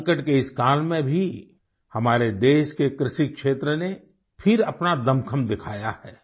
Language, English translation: Hindi, Even in this time of crisis, the agricultural sector of our country has again shown its resilience